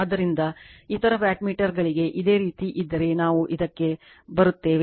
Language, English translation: Kannada, So, if you would similarly for other wattmeter we will come to that